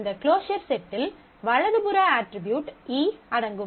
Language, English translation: Tamil, So, this closure set includes the right hand side attribute E